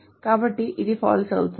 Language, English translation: Telugu, So this will be false